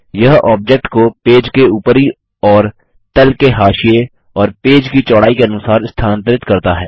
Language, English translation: Hindi, It moves the object with respect to the top and bottom margins and the page width